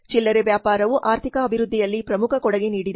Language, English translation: Kannada, Retailing has major contribution in economic development